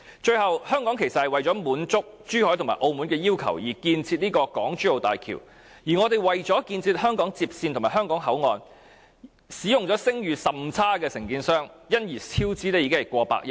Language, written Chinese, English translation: Cantonese, 最後，香港其實是為了滿足珠海和澳門的要求，才參與興建港珠澳大橋，而為了建設香港接線和香港口岸，我們更使用了聲譽甚差的承建商，因而超支過百億元。, Finally Hong Kongs participation in the construction of the HZMB was in fact a move to meet the demands of Zhuhai and Macao . In order to build the HKLR and the HKBCF we had used a contractor with very bad reputation and the result was that the actual cost exceeded the approved cost by more than 10 billion